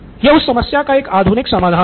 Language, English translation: Hindi, This is the modern solution to that problem